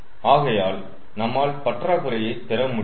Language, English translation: Tamil, so we will get the deficit